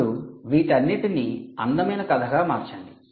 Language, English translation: Telugu, let's now convert all this into a beautiful story